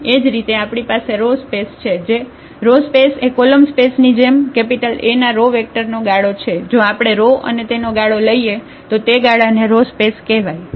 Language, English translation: Gujarati, Similarly, we have the rows space row space is nothing but the span of the row vectors of A similar to the column space if we take the rows there and span them, so this space which we call the rows space